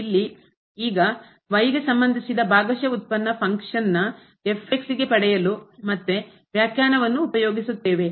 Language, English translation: Kannada, So, here now the partial derivative of y with respect to the of this function again the definition